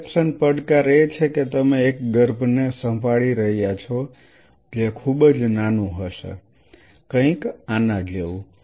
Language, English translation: Gujarati, Dissection challenge is you are handling an embryo which will be very teeny tiny something like something like this